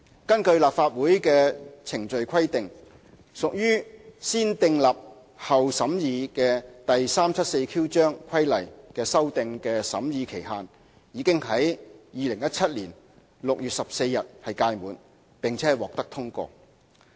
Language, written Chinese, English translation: Cantonese, 根據立法會的規定，屬"先訂立後審議"的第 374Q 章規例修訂的審議期限已經在2017年6月14日屆滿，並獲得通過。, In accordance with the rules and procedures of the Legislative Council the amendments to Cap . 374Q which are subject to negative vetting for which the vetting period expired on 14 June 2017 have been passed